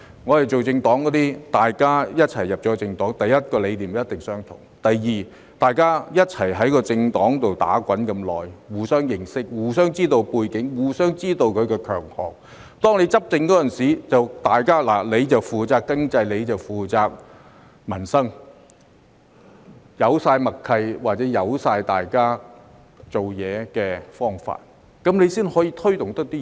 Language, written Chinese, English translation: Cantonese, 我們組政黨的，大家一起加入政黨，第一，理念一定相同；第二，大家共同在政黨內打滾那麼久，互相認識，知道對方的背景和強項，執政時便分工，有人負責經濟、有人負責民生，已有足夠默契，或知道對方的工作方法，這樣才能推動工作。, Secondly having worked together in the party for so long they know each other and understand each others background and strengths . So when they are in power they can divide the work between them with some responsible for the economy and others for peoples livelihood . With sufficient tacit understanding among them or knowledge of each others working methods they are in a good position to take work forward